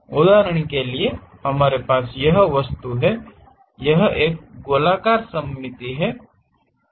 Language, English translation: Hindi, For example, we have this object; this is circular symmetric